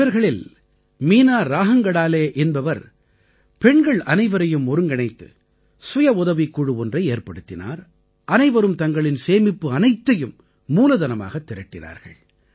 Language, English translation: Tamil, One among these women, Meena Rahangadale ji formed a 'Self Help Group' by associating all the women, and all of them raised capital from their savings